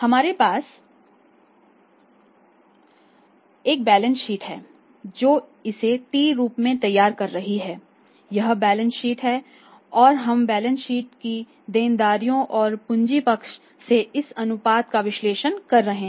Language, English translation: Hindi, We have a balance sheet here preparing it in the T form this is the balance sheet and we are analyzing this ratio from the liabilities and capital side of the balance sheet